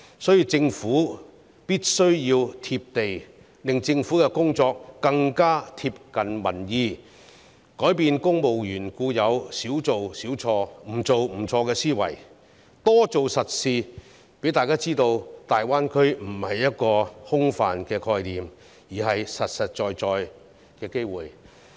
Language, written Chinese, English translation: Cantonese, 所以，政府必須"貼地"，令政府的工作更貼近民意，改變公務員固有"少做少錯、不做不錯"的思維，多做實事，讓大家知道大灣區不是一個空泛的概念，而是實實在在的機會。, For this reason the Government must be down - to - earth and better comply with public opinion in its work . Civil servants should change their inherent mindset that one who does fewer things makes fewer mistakes and one who does nothing makes no mistakes and do more practical things . Then people will know that the Greater Bay Area is not an empty concept but a real opportunity